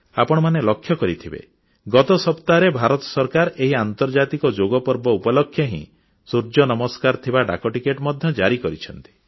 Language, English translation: Odia, You must have seen that last week the Indian government issued a postage stamp on 'Surya Namaskar' on the occasion of International Yoga Day